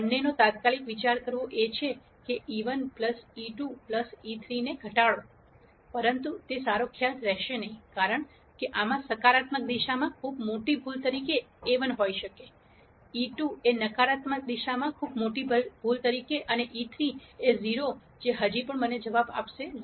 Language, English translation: Gujarati, One thing to immediately think of both is to minimize e 1 plus e 2 plus e 3, but that would not be a good idea simply, because I could have a 1 as a very large error in the positive direction e 2 as a very large error in the negative direction and e 3 as 0 that will still give me an answer 0